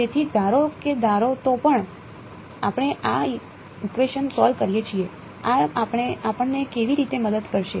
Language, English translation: Gujarati, So, supposing even if suppose, we solve this equation how will this help us